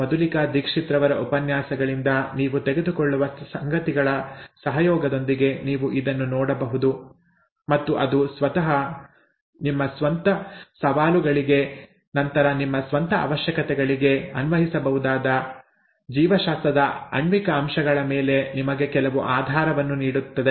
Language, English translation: Kannada, You could look at this in association with what you pick up from Dr Madhulika Dixit’s lectures, and that would give you some basis on the molecular aspects of biology which you could apply to your own requirements later, to address your own challenges later